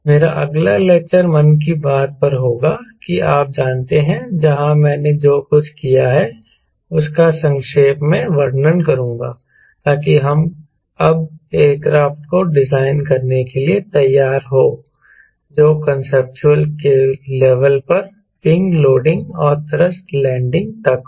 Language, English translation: Hindi, my next lecture we will be on monthly bath, that you know that, where i will be summarizing whatever you have done so that we have now ready for designing and aircraft early conceptual level, up to the wind loading and thrust loading